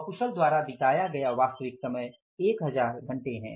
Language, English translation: Hindi, 1000 actual time spent on the unskilled is 1,000 hours